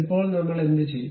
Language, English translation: Malayalam, Now, what I will do